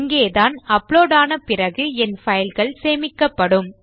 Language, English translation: Tamil, And this is where my files are being stored once they have been uploaded